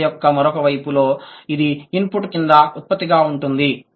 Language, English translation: Telugu, The other side of the story is this was production below the input